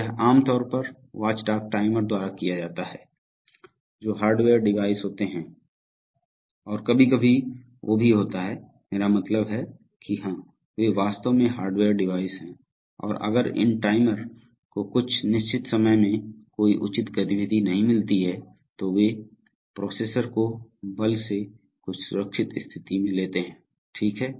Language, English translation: Hindi, So this is typically done by watchdog timers, which are hardware devices and sometimes they are also, I mean yeah, they are actually hardware devices and if these timers find no proper activity over certain periods of time, then they by force take the processor to some safe state okay